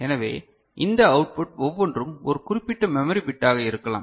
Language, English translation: Tamil, So, each of these output can be a particular memory bit